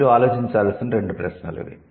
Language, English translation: Telugu, So, these are the two questions for you to think